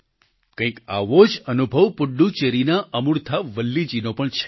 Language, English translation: Gujarati, Amurtha Valli of Puducherry had a similar experience